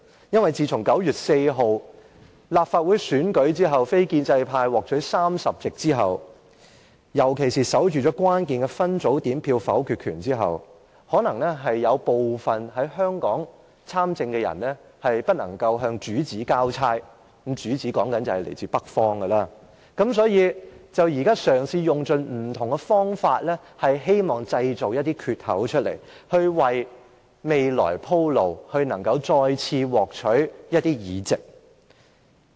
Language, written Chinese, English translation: Cantonese, 因為自從9月4日立法會選舉非建制派獲取30席，尤其是守緊了關鍵的分組點票的否決權後，有部分在香港參政的人可能未能向主子交差——我說的主子是來自北方的——所以便嘗試用盡不同方法，希望製造一些缺口，為未來鋪路，以便再次獲取一些議席。, For since the non - establishment camp won 30 seats in the Legislative Council Election on 4 September which enabled it to secure the power to veto in any division to exert critical influence certain people engaging in politics in Hong Kong may have failed to present a satisfactory report to their masters―I am referring to masters in the North . These people have thus attempted by hook or by crook to breach certain gaps and pave the way for the future such that some seats could be won again